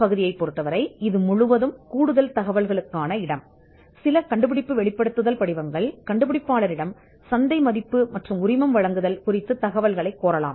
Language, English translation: Tamil, And part D, you could ask for this is entirely an additional information, which some disclosure forms may request from the inventor market valuation and licensing